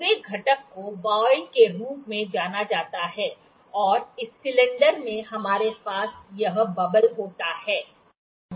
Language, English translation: Hindi, This whole component is known as voile; the cylinder in which we have this bubble